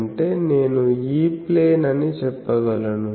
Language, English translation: Telugu, That means, I can say that E plane